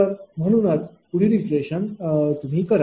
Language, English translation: Marathi, Similarly, first iteration is continuing